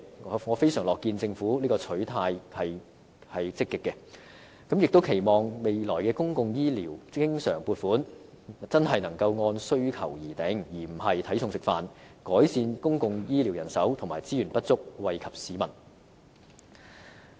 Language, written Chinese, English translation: Cantonese, 我非常樂見政府的取態積極，亦期望未來公共醫療經常撥款真的能按需求而定，而不是"睇餸食飯"，以改善公共醫療人手和資源不足，惠及市民。, I am very glad to see the Government adopting a proactive attitude . Meanwhile I hope that the recurrent expenditure for public health care in future can be determined according to the needs rather than the money available in order to ameliorate the shortage of manpower and resources in the public health care sector for the benefit of the public